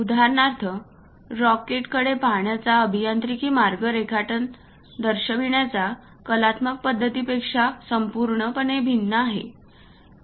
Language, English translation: Marathi, For example, the engineering way of looking at rocket is completely different from artistic way of representing drawing